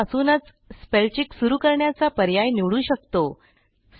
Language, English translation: Marathi, You can then choose to continue the spellcheck from the beginning of the document